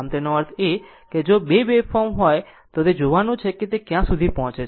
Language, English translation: Gujarati, So, that means, if you have 2 waveforms, you have to see which one is reaching it is first